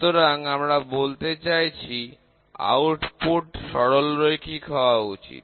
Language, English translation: Bengali, So, we are trying to say the output should be linear